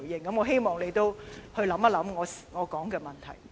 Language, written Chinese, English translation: Cantonese, 我希望局長可以思考我提到的問題。, I hope the Secretary can think about the issues I have just raised